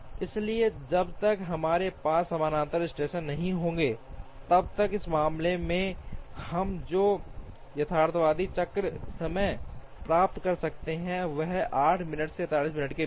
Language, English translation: Hindi, So, as long as we do not have parallel stations, the realistic cycle time that we can achieve in this case is anything between 8 minutes and 47 minutes